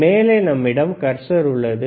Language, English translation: Tamil, On the top, we have cursor right